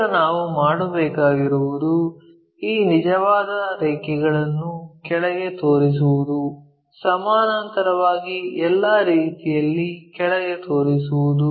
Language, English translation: Kannada, Now, what we have to do is project these true lines all the way down, move parallel all the way down